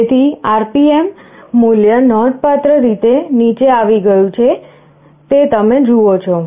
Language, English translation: Gujarati, So, the RPM value dropped significantly you see